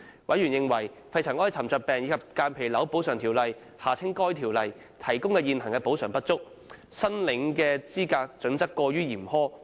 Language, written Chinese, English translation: Cantonese, 委員認為，《肺塵埃沉着病及間皮瘤條例》提供的現行補償不足，申領資格準則過於嚴苛。, In the view of members the prevailing compensation under the Pneumoconiosis and Mesothelioma Compensation Ordinance PMCO is inadequate while the eligibility criteria for compensation are too stringent